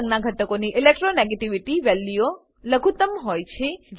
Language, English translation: Gujarati, Elements with red color have lowest Electronegativity values